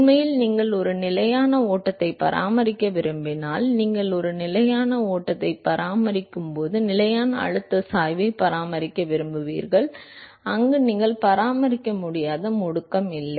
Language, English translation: Tamil, In fact, if you want to maintain a steady flow, right, if you want to maintain a steady flow, then you want to maintain a constant pressure gradient, where you do not maintain a there is no acceleration